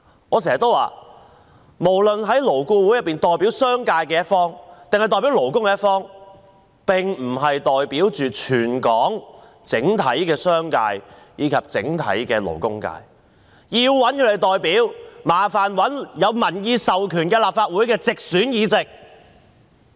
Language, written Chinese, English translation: Cantonese, 我經常說，勞顧會無論是代表商界還是勞工的一方，都不是代表全港整體商界及勞工界，他們的代表是有民意授權的立法會直選議席。, I often say that the business sector and the labour sector represented in LAB are not the representatives of all business operators and workers in Hong Kong . Their representatives are the directly - elected Members in this Council who have the mandate of the people